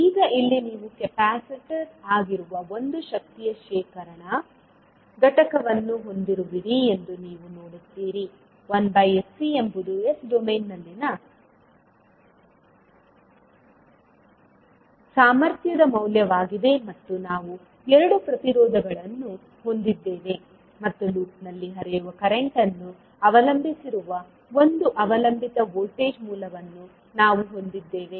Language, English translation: Kannada, So now here you see that you have one energy storage component that is capacitor, 1 by sC is the value of the capacitance in s domain and we have 2 resistances we have one dependent voltage source which depends upon the current flowing in the loop